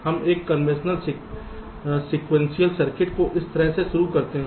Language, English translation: Hindi, we take a conventional sequential circuit just like this to start with